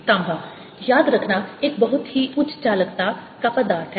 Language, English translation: Hindi, copper, remember, is a very high conductivity ah material